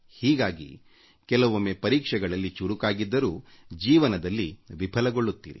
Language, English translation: Kannada, Thus, you may find that despite becoming brilliant in passing the exams, you have sometimes failed in life